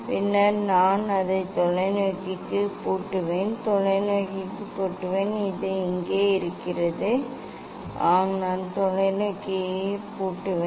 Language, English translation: Tamil, then I will lock to the telescope, I will lock to the telescope; where is this; yes, I will lock to the telescope